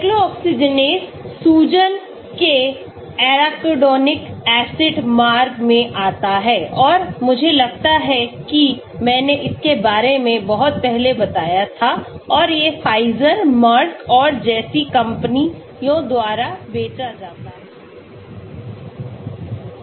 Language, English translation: Hindi, Cyclooxygenase comes in the arachidonic acid pathway of the inflammation and I think I talked about it long time back and these are marketed by companies like Pfizer, Merck and so on